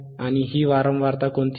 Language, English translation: Marathi, What is this frequency